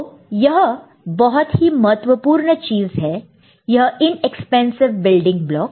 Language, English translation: Hindi, So, this is actually an important thing; this inexpensive building block